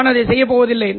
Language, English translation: Tamil, I am not going to do that one